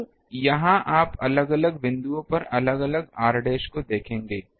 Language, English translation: Hindi, Now, here you see different points will have different r dash